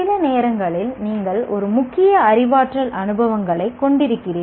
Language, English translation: Tamil, Sometimes you have a dominantly cognitive experiences